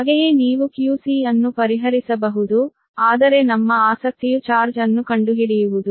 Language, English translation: Kannada, you can solve for q c, but our interest to find out the charge, right